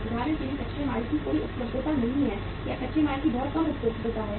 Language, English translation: Hindi, For example there is uh no availability of the raw material or very less availability of the raw material